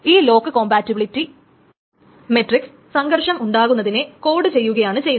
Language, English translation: Malayalam, This lock compatibility matrix does just it quotes the conflict that we have already studied